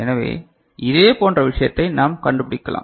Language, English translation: Tamil, So, similar thing we can find out, ok